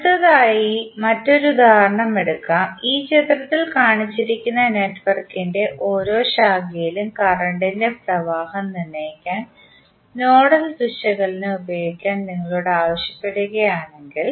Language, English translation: Malayalam, Next let us take another example, if you are asked to use nodal analysis to determine the current flowing in each branch of the network which is shown in this figure